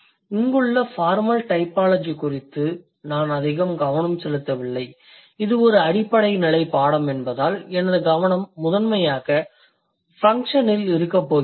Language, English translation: Tamil, And my suggestion for you would be considering I am not focusing much on the formal typology here rather because this is a basic level course so my focus is going to be primarily on function but not exclusively in function